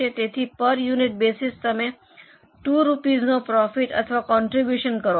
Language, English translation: Gujarati, So, per unit basis, you make a profit of or contribution of $2